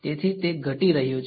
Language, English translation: Gujarati, So, it's going to drop